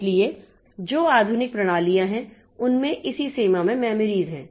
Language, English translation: Hindi, So, those modern systems, so they are having memory in that range